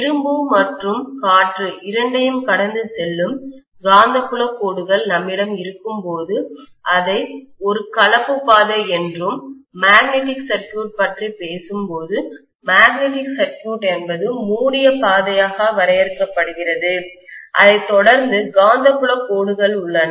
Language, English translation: Tamil, When we have the magnetic field lines passing through both iron as well as air we call that as a composite path and when we talk about magnetic circuit; the magnetic circuit is defined as the closed path followed by the magnetic field lines